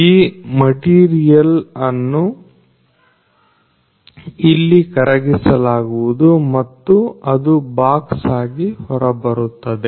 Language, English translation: Kannada, That material is melted here and it comes out as a box